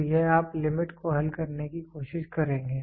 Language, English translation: Hindi, So, this you will try to solve limit